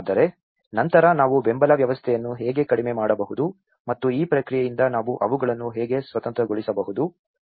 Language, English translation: Kannada, But then how we can reduce the support system and so that how we can make them independent of this process